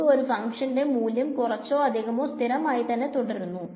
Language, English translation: Malayalam, So, it will be now we can assume that the value of the function is more or less constant